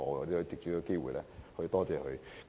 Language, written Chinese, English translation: Cantonese, 我想藉此機會感謝他們。, I would like to take this opportunity to thank them